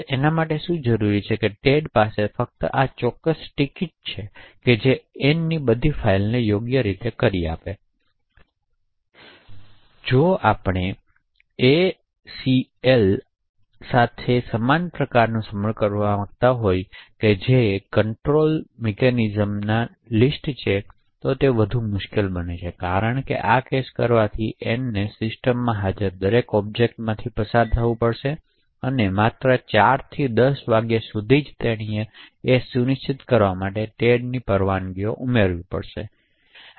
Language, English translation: Gujarati, So what is required is Ted having just this particular ticket which gives in right to all of Ann’s files, if we want to achieve the same kind of dedication with the ACL that is the access control list and it is far more difficult, the reason being doing this case Ann has to pass through every object that is present the system and just for a period of 4PM to 10 PM she has to add permissions for Ted to ensure delegation